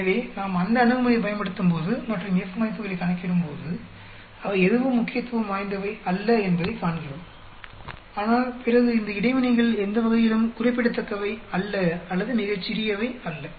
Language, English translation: Tamil, So, when we use that approach and calculate F values, we see none of them are significant, but then these interaction are any way not significant or very small